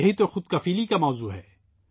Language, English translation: Urdu, This is the basis of selfreliance